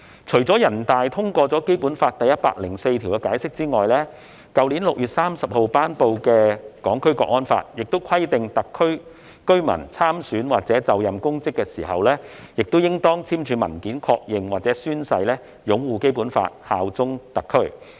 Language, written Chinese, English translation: Cantonese, 除了全國人大常委會通過《基本法》第一百零四條的解釋外，去年6月30日頒布實施的《香港國安法》亦規定特區居民參選或就任公職時，應當簽署文件確認或宣誓擁護《基本法》，效忠特區。, Apart from the Interpretation of Article 104 of the Basic Law adopted by NPCSC the National Security Law implemented on 30 June last year also provides that a resident of the Hong Kong Special Administrative Region HKSAR who stands for election or assumes public office shall confirm in writing or take an oath to uphold the Basic Law and swear allegiance to HKSAR